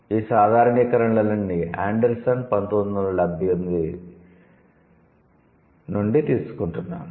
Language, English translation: Telugu, All of these, all of the generalizations are coming from Anderson, 1978